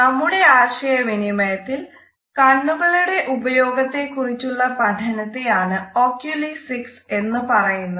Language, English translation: Malayalam, Oculesics refers to the study of the use of eyes in our communication